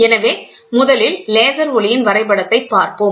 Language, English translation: Tamil, So, let us first look at the diagram laser light